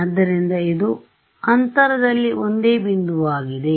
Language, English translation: Kannada, So, this is the same point in space